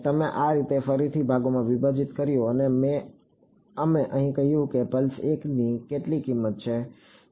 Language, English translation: Gujarati, We broke it up like this again into segments and here we said pulse 1 has some value